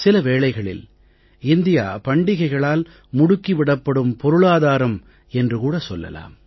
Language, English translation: Tamil, At times it feels India is one such country which has a 'festival driven economy'